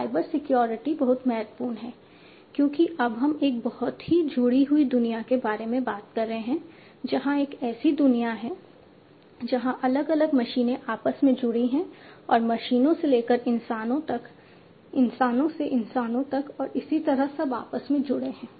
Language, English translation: Hindi, So, cyber security is very important because now we are talking about a very connected world, where a world where different machines are connected between themselves and machines to people, machines to humans, humans to humans, and so on